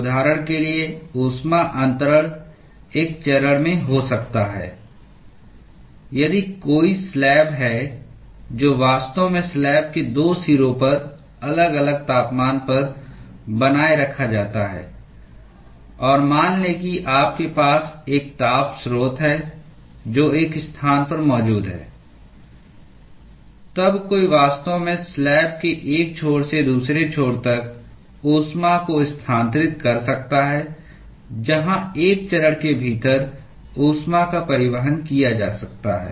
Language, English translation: Hindi, Heat transfer can occur in one phase, for example; if there is a slab which is actually maintained at different temperatures at the 2 ends of the slab, and let us say you have a heat source which is present at one location, then one can actually transfer the heat from one end to the other end of the slab, where the heat is transported within one phase